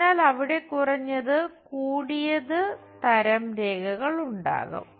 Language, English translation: Malayalam, So, there will be minimum, maximum kind of lines